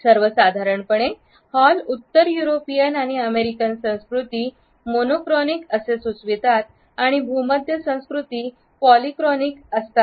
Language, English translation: Marathi, In general Hall suggest that northern European and American cultures are monochronic and mediterranean cultures are polychronic